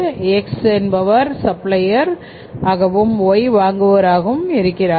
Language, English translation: Tamil, X is the supplier and Y is the buyer